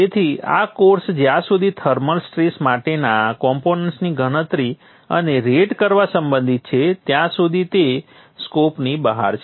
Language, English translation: Gujarati, So therefore it is out of the scope as far as this course is concerned to calculate and rate the components for thermal stresses